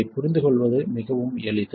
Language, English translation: Tamil, This is quite simple to understand